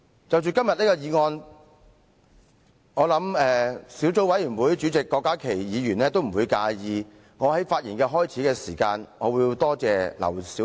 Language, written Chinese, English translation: Cantonese, 關於今天的議案，我想小組委員會主席郭家麒議員不會介意我在開始發言時先感謝前議員劉小麗。, As regards todays motion I think Dr KWOK Ka - ki Chairman of the Subcommittee on Issues Relating to Bazaars would not mind if I first thank the former Member Dr LAU Siu - lai in my speech